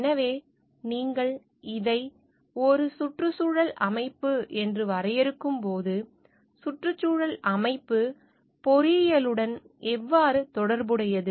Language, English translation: Tamil, So, when you are defining this as a ecosystem, then how ecosystem is related to engineering